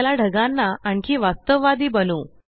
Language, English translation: Marathi, Now lets make the clouds look more realistic